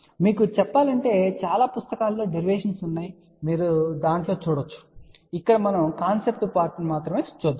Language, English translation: Telugu, But just to tell you the derivations are there in many of the books you can have a quick look into that , but here we want to tell you the concept part